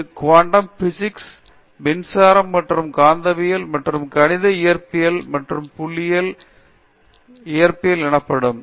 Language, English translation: Tamil, So, this means classical physics, quantum physics, electricity and magnetism and mathematical physics and statistical physics